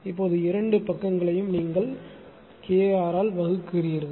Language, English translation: Tamil, Both side you divide by KR